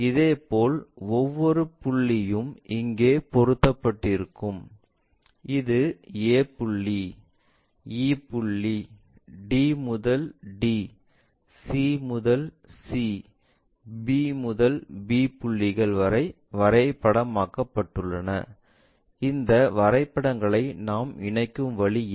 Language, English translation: Tamil, Similarly, each and every point mapped there a point, e point, d to d, c to c, b to b points, this is the way we connect these maps